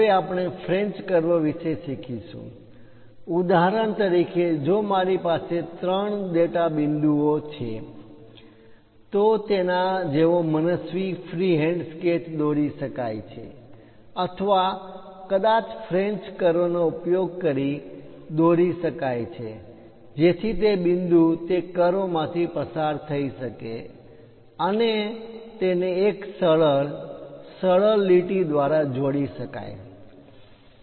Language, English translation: Gujarati, Now, we will learn about French curves; for example, if I have three data points, one can draw an arbitrary free hand sketch like that or perhaps use a French curve, so that the point can be passing through that curve and connect it by a nice smooth line